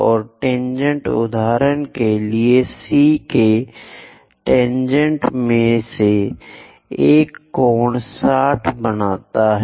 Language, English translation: Hindi, And the tangents; for example one of the tangent all the way to C makes an angle 60 degrees